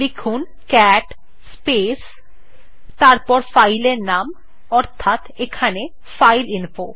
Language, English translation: Bengali, Just type cat space and the name of the file , here it is fileinfo and press enter